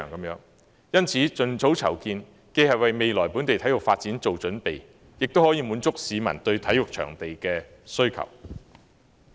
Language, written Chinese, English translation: Cantonese, 因此，盡早籌建，既為未來本地體育發展作準備，亦可滿足市民對體育場地的需求。, Therefore an early planning for the development will not only pave the path for the future development of local sports but also meet the publics demand for sports venues